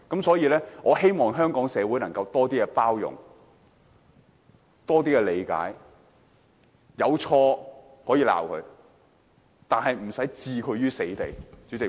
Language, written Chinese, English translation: Cantonese, 所以，我希望香港社會能多些包容和理解，如果他有錯，可以批評他，但不用置他於死地。, Thus I hope that the society of Hong Kong can become more tolerant and understanding . If LEUNG Chun - ying has committed any fault we can criticize him but we do not have to push him to the dead end